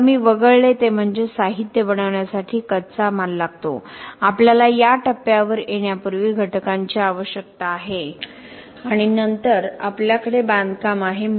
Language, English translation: Marathi, Now what I skipped was that for making a material we need raw material; we need components to come in and then we have the construction before we get to this stage